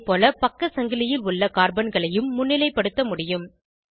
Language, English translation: Tamil, Similarly, we can highlight the carbons in the side chain